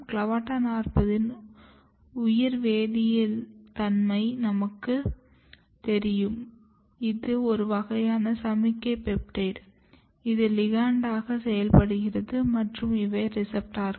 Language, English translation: Tamil, This CLAVATA40 is actually the biochemical nature of CLAVATA40 is known, this is a kind of signalling peptide which works as a ligand and then these are the receptors